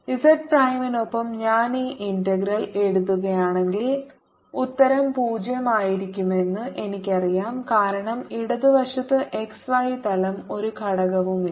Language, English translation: Malayalam, we can immediately see that if i write this integral with z prime, i know that the answer is going to be zero because on the left hand side there's no component in the x y plane